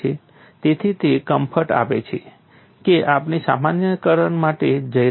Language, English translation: Gujarati, So, that gives the comfort that we are going in for generalizations